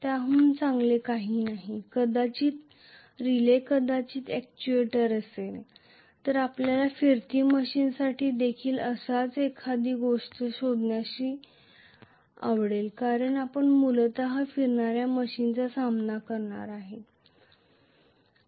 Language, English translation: Marathi, Nothing better than that maybe a relay maybe an actuator, so we would like to derive a similar thing for a rotating machine because we are going to deal with rotating machines basically